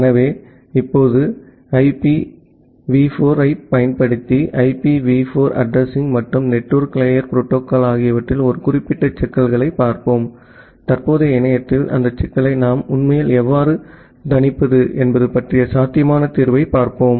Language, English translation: Tamil, So, now, we will look into a specific problems in IPv4 addressing and network layer protocol using IPv4 and we will look a possible solution about how we’re actually mitigating that problem in the current internet